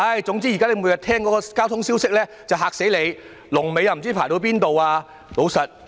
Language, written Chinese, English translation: Cantonese, 現時每天聽到的交通消息都十分嚇人，全部與車龍有關。, The daily traffic reports are very frightening as they are all about the vehicular queues